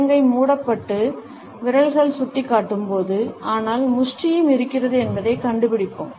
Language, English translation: Tamil, We would find that when the palm has been closed and the fingers are pointing, but the fist is also there